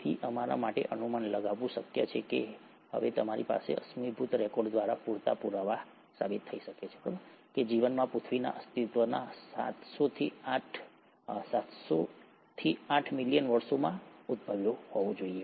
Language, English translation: Gujarati, So, it is possible for us to speculate and now you have enough proofs through fossil records that the life must have originated within seven hundred to eight million years of earth’s existence